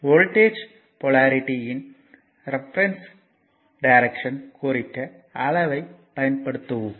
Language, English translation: Tamil, So, size are used to represent the reference direction of voltage polarity